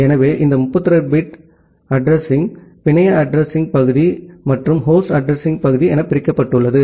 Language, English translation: Tamil, So, this 32 bit address is divided into the network address part and the host address part